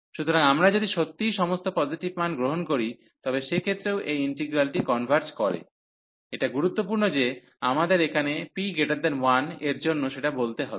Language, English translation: Bengali, So, if we take indeed all the positive values, in that case also this integral converges for this is important that we have shown here for p greater than 1